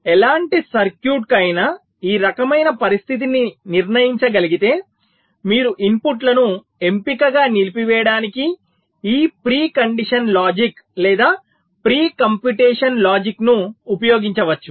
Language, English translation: Telugu, so for any kind of circuit where this kind of condition can be determined, you can use this pre condition logic or pre computation logic to selectively disable the inputs